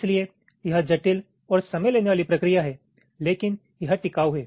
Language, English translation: Hindi, so it is, ah, complex and time consuming process, but it is durable, all right